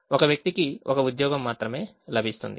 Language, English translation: Telugu, each person gets only one job